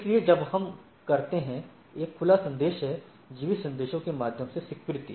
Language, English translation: Hindi, So, when we do is a open message, acceptance through keep alive messages